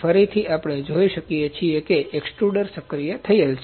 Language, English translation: Gujarati, Again we can see extruder is activated